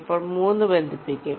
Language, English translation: Malayalam, then three will be connected